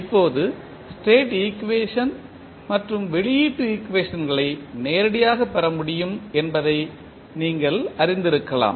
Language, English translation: Tamil, Now, you may be knowing that the state equation and output equations can be obtain directly